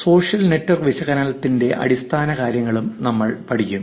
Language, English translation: Malayalam, We will also learn the basics of social network analysis